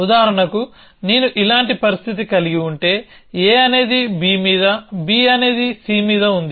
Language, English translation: Telugu, So, for example, if I have a situation like this A is on b on c something like this